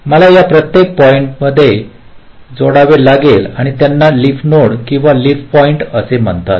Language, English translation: Marathi, ok, i have to connect this to each of these points and these are called leaf net, leaf nodes or leaf points